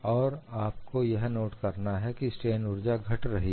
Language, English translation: Hindi, So, what is the change in strain energy